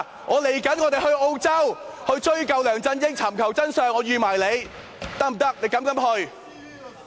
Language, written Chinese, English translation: Cantonese, 我們即將前往澳洲追究梁振英，尋求真相，我們預你一起去。, We are going to Australia to investigate LEUNG Chun - ying and find out the truth . We count you in